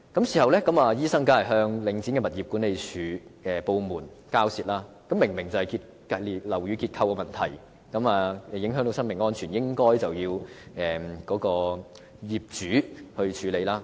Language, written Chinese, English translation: Cantonese, 事後該名醫生當然與領展的物業管理部門交涉，因為這明明是樓宇結構的問題，影響到生命安全，應該由業主處理。, Of course the medical practitioner negotiated with the property management department of Link REIT after the incident because the building structure was obviously to blame . Since human safety was at stake the matter should be dealt with by the owner